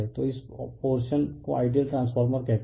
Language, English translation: Hindi, So, this portions call ideal transformers, right